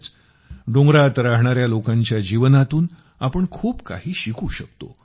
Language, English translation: Marathi, Indeed, we can learn a lot from the lives of the people living in the hills